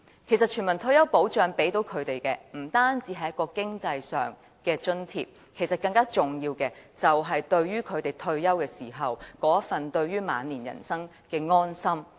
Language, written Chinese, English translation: Cantonese, 其實，全民退休保障給他們的不單是經濟上的津貼，更重要的是，退休時那份對於晚年人生的安心。, As a matter of fact universal retirement protection provides for them not only economic allowances but more importantly security about their life in old age at the time of retirement